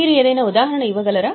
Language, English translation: Telugu, Can you give any example